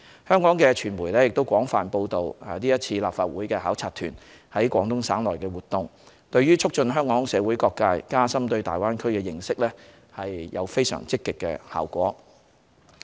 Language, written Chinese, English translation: Cantonese, 香港的傳媒亦廣泛報道立法會考察團在廣東省內的活動，這對促進香港社會各界加深對大灣區的認識有非常積極的效果。, In Hong Kong the extensive media coverage of the activities undertaken by the Legislative Council delegation in the Guangdong Province has likewise achieved very positive effects on fostering a deeper understanding of the Greater Bay Area among various social sectors in Hong Kong